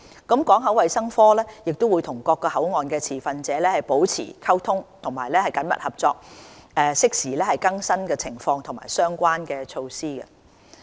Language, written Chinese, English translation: Cantonese, 港口衞生科會與各口岸持份者保持溝通和緊密合作，適時更新情況及相關措施。, The Port Health Division will maintain close communication and collaboration with stakeholders of all boundary control points and provide timely updates on the situation and related measures